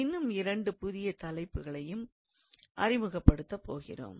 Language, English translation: Tamil, There are two new topics that we are going to introduce at the moment